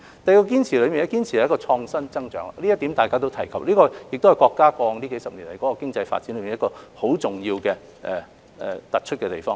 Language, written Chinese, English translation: Cantonese, 第二個堅持是堅持創新增長，這點大家都有提及，亦是國家過往數十年經濟發展中一個相當重要、突出的地方。, The second proposal is that we need to pursue innovation - driven growth . Members have mentioned this point which is also a crucial and prominent element of the countrys economic development over the past decades